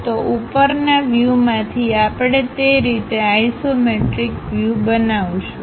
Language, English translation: Gujarati, So, from the top view we will construct isometric view in that way